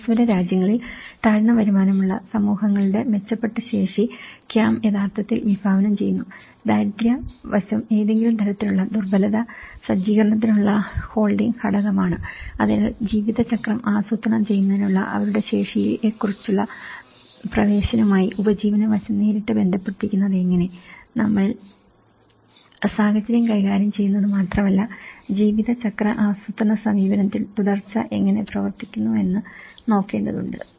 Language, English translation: Malayalam, And it actually envisages; CAM envisages improved capacity of low income communities because in developing countries, the poverty aspect is one of the holding factor for any kind of vulnerability setup so, how the livelihood aspect is directly related to the access to their capacities for the management of lifecycle planning so, it is not about only we are dealing with the situation itself, we have to look at how the continuity works out in a lifecycle planning approach